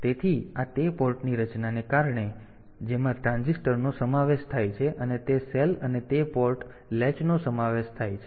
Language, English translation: Gujarati, So, this is because of that structure of that port consisting of the transistor and that cell of that and that port latch